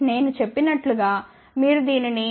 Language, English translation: Telugu, That is why I had told you if you take 0